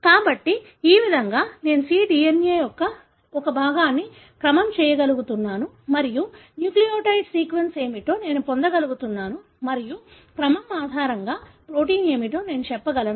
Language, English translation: Telugu, So, this way I am able to sequence a fragment of the cDNA and I am able to get what is a nucleotide sequence and based on the sequence, I will be able to tell what the protein is